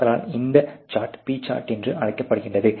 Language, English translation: Tamil, And so that chart is known as P chart